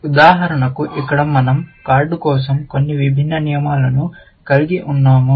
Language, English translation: Telugu, For example, here, we have for the card, some different rules